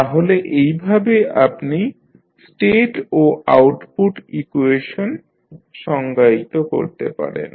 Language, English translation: Bengali, So, in this way you can define the state and output equation